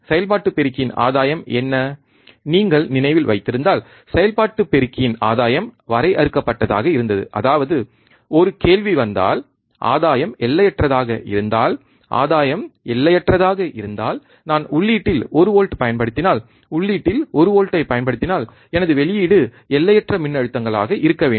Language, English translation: Tamil, What is the again of the operational amplifier, what was that if you remember, the gain of an operational amplifier was in finite; that means, that if then a question comes that, if the gain is infinite, if the gain is infinite then if I apply 1 volts at the input, if I apply one volt at the input, then my output should be infinite voltages, right isn't it